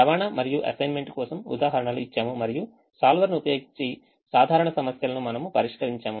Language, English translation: Telugu, we gave examples for in transportation and assignment and we solved this simple problems using the solver